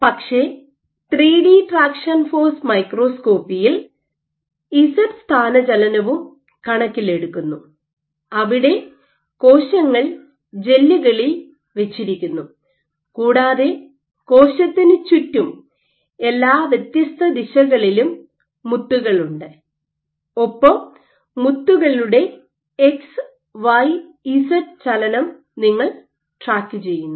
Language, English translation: Malayalam, So, this is what is taken into account in 3 D traction force microscopy where, cells are embedded in gels and you have beads in around the cell in all different directions and you track the X, Y, Z movement of the beads